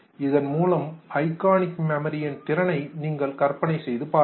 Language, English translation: Tamil, You can imagine the capacity of iconic memory